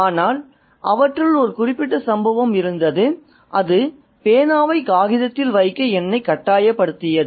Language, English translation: Tamil, But there is one incident which I remember that compels me to put pen to paper